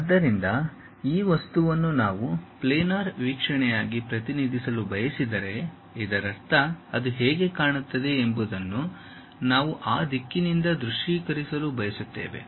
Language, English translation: Kannada, So, this object if we would like to represent as a planar view; that means, we would like to really visualize it from that direction how it looks like